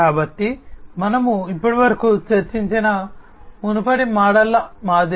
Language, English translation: Telugu, So, like the previous models that we have discussed so far